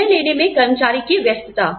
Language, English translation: Hindi, Employee engagement in decision making